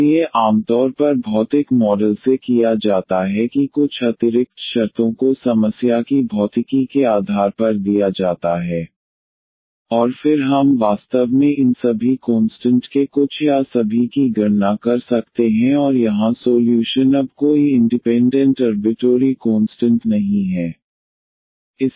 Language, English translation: Hindi, So, usually that is done from the physical model that some extra conditions, are given based on the physics of the problem and then we can compute actually some or all of the these constants and the solution here now does not have any independent arbitrary constants